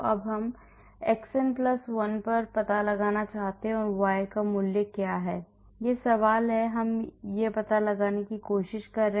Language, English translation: Hindi, Now, I want to find out at xn+1 what is the value of y that is the question, I am trying to find out